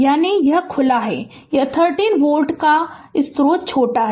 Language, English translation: Hindi, That is, is this is open this 30 volt source is shorted